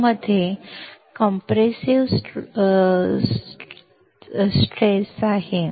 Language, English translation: Marathi, So, SiO2 has compressive stress